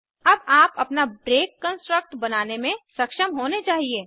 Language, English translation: Hindi, Now you should be able to create your own break construct